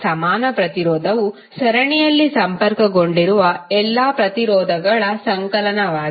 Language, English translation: Kannada, Equivalent resistance would be summation of all the resistances connected in the series